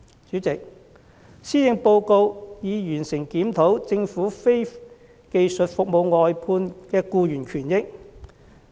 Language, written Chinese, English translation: Cantonese, 主席，施政報告提到已完成檢討政府非技術服務外判的僱員權益。, President according to the Policy Address the Government has completed a review on labour benefits of non - skilled employees engaged by government service contractors